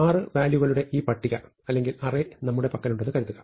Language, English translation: Malayalam, So, supposing we have this list or array of six elements